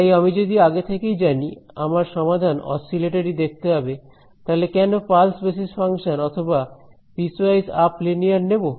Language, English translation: Bengali, So, if I know beforehand that my solution is going to look oscillatory then why choose pulse basis function or piece wise up linear